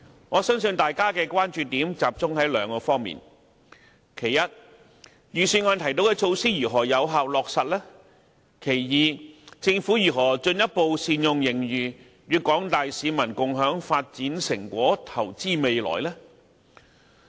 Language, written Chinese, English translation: Cantonese, 我相信大家的關注點也集中於兩方面，第一，預算案提到的措施如何能夠有效落實；第二，政府如何進一步善用盈餘，與廣大市民共享發展成果，投資未來。, I believe Members are mainly concerned about two questions . First how can the initiatives proposed in the Budget be effectively implemented? . Second how can the Government make still better use of the surplus to share the fruits of progress with the public and invest in the future?